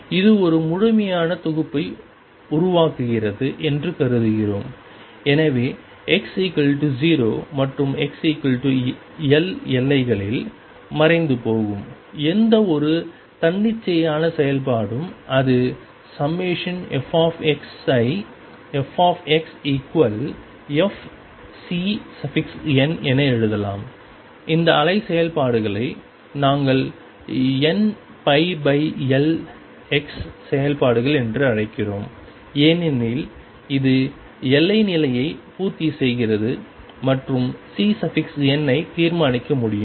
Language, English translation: Tamil, And we assume that this forms a complete set and therefore, any function some arbitrary function which vanishes at the boundaries x equals 0 and x equals L, this is sum f x can be written as f x equals integration C n we call these wave functions these functions are n pi over L x, because this satisfies the boundary condition and the C n can be determined